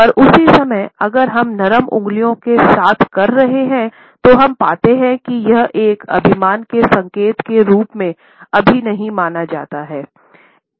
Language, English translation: Hindi, At the same time, if we are doing it with soft fingers, we find that it is never considered as an arrogant gesture